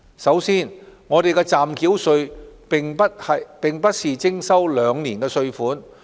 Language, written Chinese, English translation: Cantonese, 首先，暫繳稅並不是徵收兩年的稅款。, First in levying provisional tax we are not levying tax payments for two years